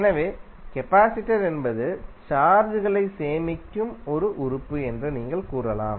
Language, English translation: Tamil, So, therefore you can say that capacitor is an element which stores charges